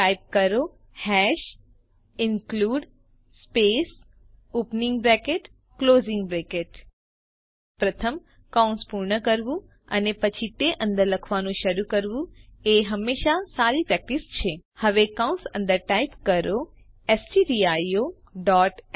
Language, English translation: Gujarati, Now press Enter Type hash #include space opening bracket , closing bracket It is always a good practice to complete the brackets first, and then start writing inside it Now Inside the bracket, typestdio